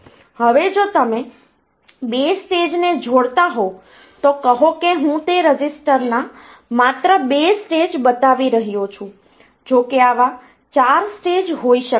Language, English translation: Gujarati, Now if you are connecting 2 stages say I am just showing 2 stage of that register, though there can be 4 such stages